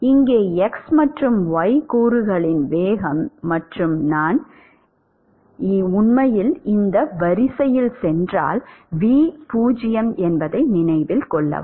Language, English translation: Tamil, Note that the v 0 here both x and y component velocity is 0 and if I actually go along this line